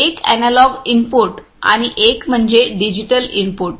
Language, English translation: Marathi, One is the analog input and one is the digital inputs